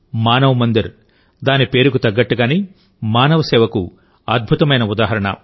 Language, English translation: Telugu, Manav Mandir is a wonderful example of human service true to its name